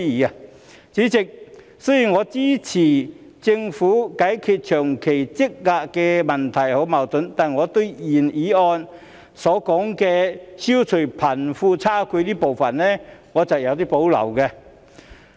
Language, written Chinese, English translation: Cantonese, 代理主席，雖然我支持政府解決長期積壓的問題和矛盾，但對於原議案所說的消弭貧富差距部分，我是有所保留的。, Deputy President I support the Government s efforts to tackle the long - standing and deep - seated problems and conflicts but I have reservations about the part of the original motion which calls for eradicating the disparity between the rich and the poor